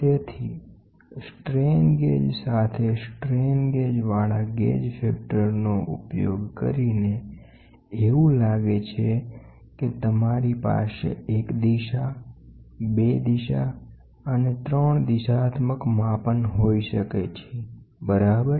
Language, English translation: Gujarati, So, using gauge factor with strain gauges to the strain gauge looks like you can have 1 direction 2 direction and 3 directional measurements, ok